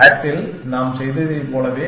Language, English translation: Tamil, Exactly like, what we did in SAT